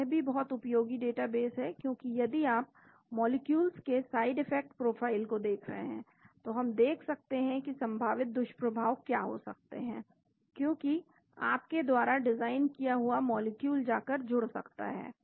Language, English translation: Hindi, So, this is also very useful data base because if you are looking at side effect profiles of molecules, we can see what could be the possible side effects because the molecule which you design may go and bind